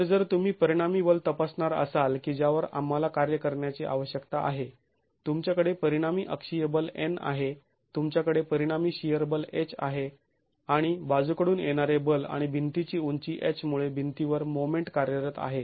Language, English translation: Marathi, So if you were to examine the resultant forces that we need to be working on, you have a resultant axial force in, you have a resultant shear force H and the moment which is acting on the wall because of the lateral force and the height of the wall H